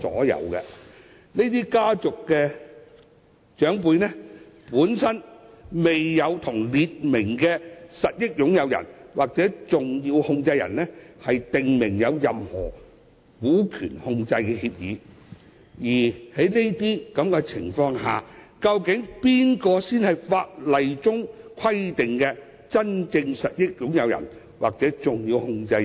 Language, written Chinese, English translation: Cantonese, 由於這些家族的長輩並未與訂明的實益擁有人或重要控制人訂立任何股權控制的協議，在這情況下，究竟誰才是法例規定的真正實益擁人或重要控制人？, As these elders have not entered into any share - holding agreement with the named beneficial owners or significant controllers who then are the true beneficial owners or significant controllers?